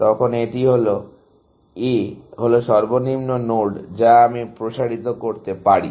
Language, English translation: Bengali, Now, this is, A is the lowest node that I can expand